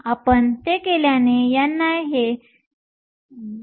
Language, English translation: Marathi, N i, if you do it is 2